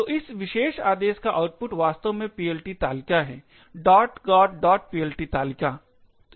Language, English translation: Hindi, So, the output of this particular command would actually be the PLT table, the got